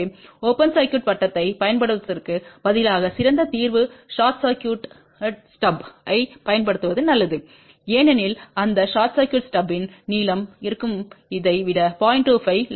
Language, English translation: Tamil, So, the better solution instead of using an open circuited stub it is better to use short circuited stub because the length of that short circuited stub will be 0